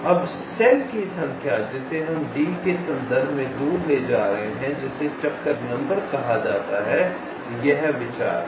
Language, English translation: Hindi, now, the number of cells that we are moving away from with respect to d, that is called the detour number